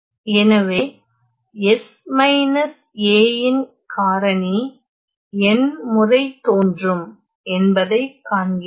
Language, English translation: Tamil, So, we see that there is a factor of S minus a which is appearing n times